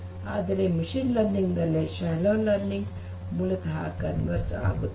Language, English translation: Kannada, Whereas, in machine learning, the shallow learning basically converges